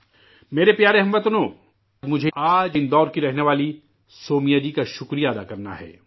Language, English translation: Urdu, My dear countrymen, today I have to thank Soumya ji who lives in Indore